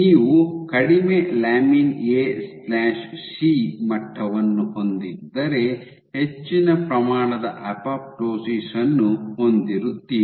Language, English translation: Kannada, So, if you have low lamin A/C levels you have higher amount of apoptosis